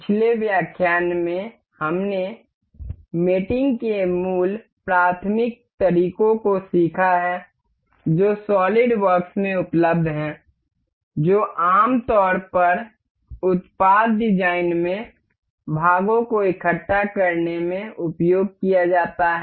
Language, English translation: Hindi, In the last lecture, we have learnt the basic elementary methods of mating that are available in solidworks that are generally used in assembling the parts in product design